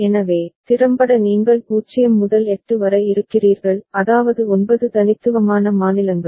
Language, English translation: Tamil, So, effectively you are having 0 to 8; that means 9 unique states